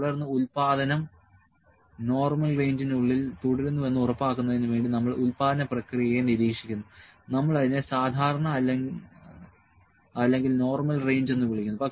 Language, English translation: Malayalam, Then we monitor the production process to make it sure that the production stays within the normal range within we call also, we call it common or normal range